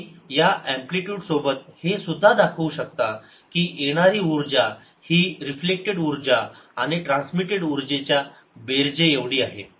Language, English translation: Marathi, you can also show with these amplitudes that the energy coming in is equal to the energy reflected plus energy transmitted, which is required by energy conservation